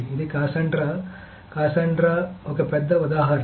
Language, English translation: Telugu, Cassandra is one big example